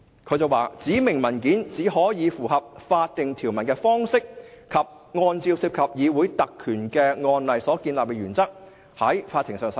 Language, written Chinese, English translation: Cantonese, 他表示："指明文件只可以符合法定條文的方式及按照涉及議會特權的案例所建立的原則，在法庭上使用。, He says [T]he documents specified in the request may only be used in court in a manner consistent with the statutory provisions in light of the principles developed in decided cases governing parliamentary privilege